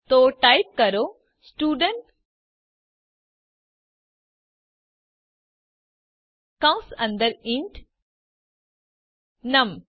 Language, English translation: Gujarati, So type Student within parentheses int num